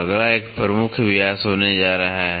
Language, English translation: Hindi, Next one is going to be major diameter